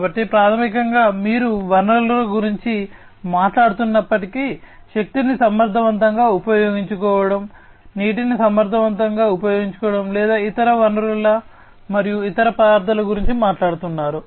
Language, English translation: Telugu, So, basically, you know, even if you are talking about resources, efficient utilization of energy, efficient utilization of water, or other resources, and other materials that are used